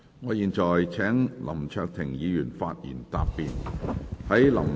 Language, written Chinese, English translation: Cantonese, 我現在請林卓廷議員發言答辯。, I now call upon Mr LAM Cheuk - ting to reply